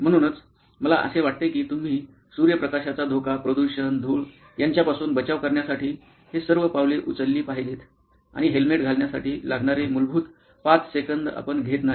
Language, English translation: Marathi, So, to me that was bugging that you take all these steps to prevent your exposure to sunlight, to pollution, to dust and what not but you do not take the basic 5 seconds it takes to wear a helmet